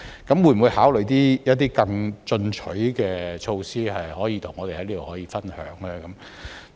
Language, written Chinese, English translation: Cantonese, 局長會否考慮一些更進取的措施，可以跟我們在這裏分享呢？, Will the Secretary consider some more aggressive measures that he can share with us here?